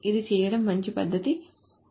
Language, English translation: Telugu, This is not a good way of doing it